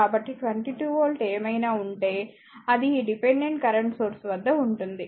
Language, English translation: Telugu, So, whatever 22 volt is there that will be impressed across this dependent current source